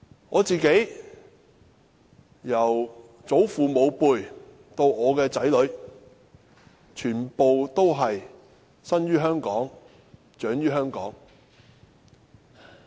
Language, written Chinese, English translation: Cantonese, 我的家族由祖父母輩到我的子女，全部生於香港、長於香港。, My family members from my grandparents to my children are all born and brought up in Hong Kong